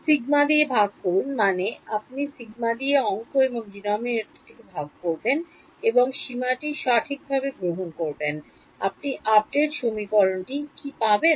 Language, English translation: Bengali, Divide by sigma I mean you will divide the numerator and denominator by sigma and take the limit correct, what will you get update equation